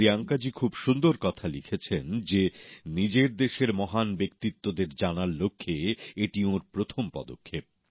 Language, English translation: Bengali, Priyanka ji has beautifully mentioned that this was her first step in the realm of acquainting herself with the country's great luminaries